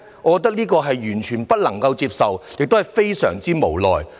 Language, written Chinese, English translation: Cantonese, 我覺得這完全不能夠接受，亦感到非常無奈。, I find this totally unacceptable and I feel so helpless about this